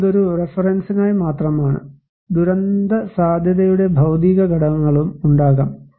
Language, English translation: Malayalam, But this is just for as a reference; we can have also physical factors of disaster vulnerability